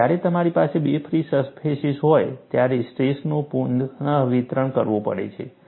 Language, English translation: Gujarati, So, when you have 2 free surfaces, the stress has to be redistributed